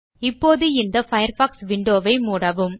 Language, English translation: Tamil, Now close this Firefox window